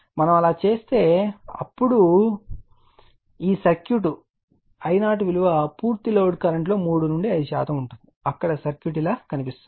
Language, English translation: Telugu, If we do so then this circuit that your I 0 is 3 to 5 percent of the full load current where circuits looks like this